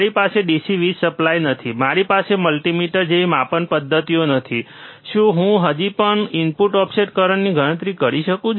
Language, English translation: Gujarati, I do not have the DC power supply, I I do not have the measurement systems like multimeter, can I still calculate the input offset current